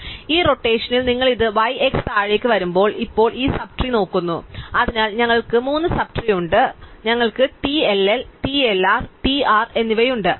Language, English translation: Malayalam, So, in this rotation when you hang it out by y, x comes down and now we look at this sub trees, so we have the 3 sub trees, we have TLL, TLR and TR